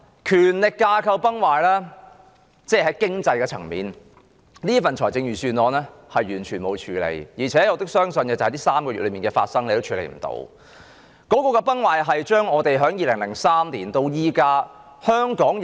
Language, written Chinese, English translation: Cantonese, 權力架構崩壞，在經濟層面上，這份預算案完全沒有處理問題，而且我亦相信它無法處理這3個月以來發生的事情。, The power structure has collapsed . The Budget has not dealt with economic problems at all . I do not believe that it can deal with what has happened in these three months